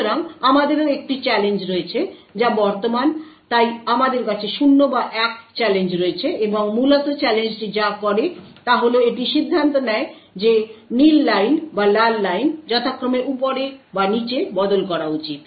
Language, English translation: Bengali, So, we also have a challenge which is present, so we have challenges which is 0 or 1, and essentially what the challenge does is that it decides whether the blue line or the red line should be switched on top or bottom respectively